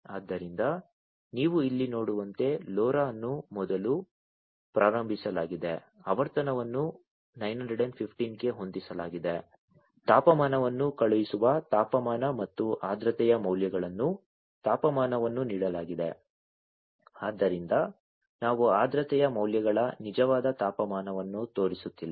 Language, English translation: Kannada, So, as you can see over here LoRa is initialized first, frequency set up to 915, temperature sending temperature and humidity values temperature is given so because you know so we are not showing the actual temperature of the humidity values